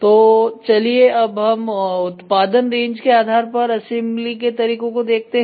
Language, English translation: Hindi, So, let us see the assembly methods based on production range